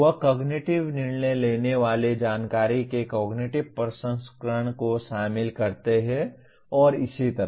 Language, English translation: Hindi, They involve cognitive processing of the information making cognitive judgments and so on